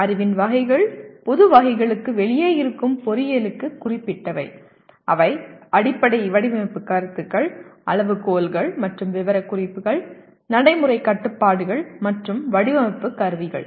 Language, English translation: Tamil, Categories of knowledge specific to engineering which are outside the general categories, they are Fundamental Design Concepts, Criteria and Specifications, Practical Constrains and Design Instrumentalities